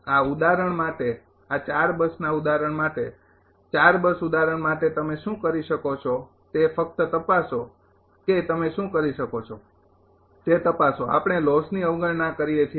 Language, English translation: Gujarati, For this example for that 4 bus example, for 4 bus example what you can do is that just check just check what you can do we neglect the losses